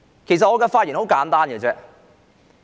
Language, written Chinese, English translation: Cantonese, 其實我的發言十分簡單。, Actually my speech is very simple